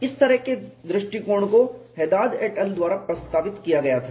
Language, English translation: Hindi, Such an approach was proposed by Haded et al